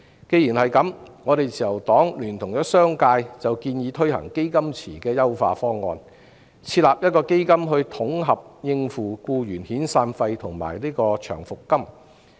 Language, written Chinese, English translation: Cantonese, 既然如此，自由黨聯同商界建議推行"基金池"的優化方案，設立一個基金來統合應付僱員的遣散費及長期服務金。, That being the case the Liberal Party together with the business sector proposes the introduction of an enhanced option of fund pool to set up a fund to cope with the severance payment and long service payment for employees in a centralized manner